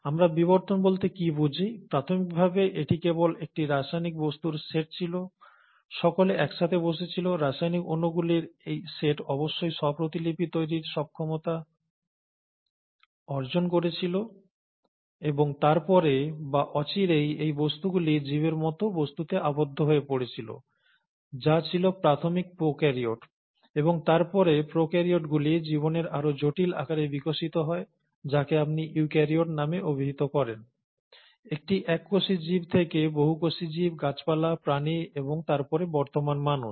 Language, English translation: Bengali, And, what do we mean by evolution; it was just initially a set of chemical entities, all sitting together, these set of chemical molecules must have evolved an ability to self replicate, and then sooner or later, these entities would have enclosed themselves into organism like entities, which were the initial prokaryotes, and then the prokaryotes would have evolved into much more complex forms of life, which is what you call as the eukaryotes, a single celled organism to a multi cellular organism to plants, to animals, and then, to the present day human beings